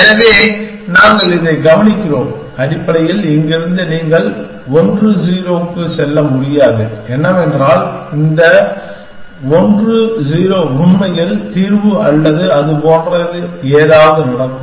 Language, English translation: Tamil, So, we just observe that, you cannot move to this 1 0 from here essentially, what if that 1 0 really happen to be the solution or something like that